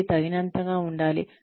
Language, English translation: Telugu, It has to be adequate